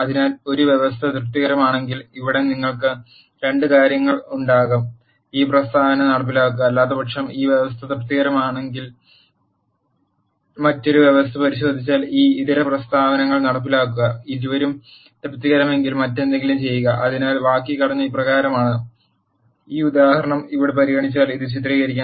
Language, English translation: Malayalam, So, here you will have 2 things if a condition is satisfied execute this statement; else if you check for another condition if that condition is satisfied execute this alternate statements, if both of them are not satisfied then do something else so the syntax is as follows; to illustrate this if let us consider this example here